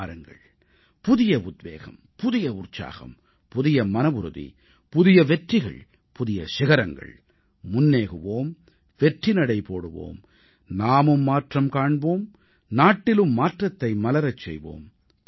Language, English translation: Tamil, Come, imbued with renewed inspiration, renewed zeal, renewed resolution, new accomplishments, loftier goals let's move on, keep moving, change oneself and change the country too